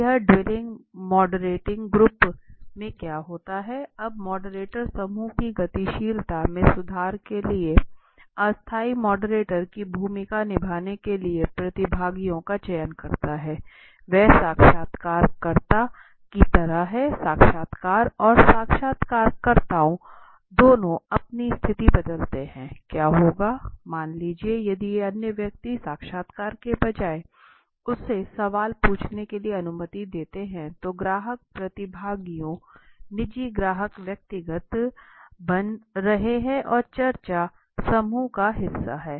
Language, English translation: Hindi, So this what happens in the dueling moderating group now respondent moderate the moderator also selects participants to play the role of moderate temporary to improve group dynamics so he is like in a in interviewer the interview and interviewer both change their position what would happen suppose if I if the other person allows him instead of the interview to allow him to ask the question it is exactly like that so the client participants client personal the company personal then they are made part of the discussion group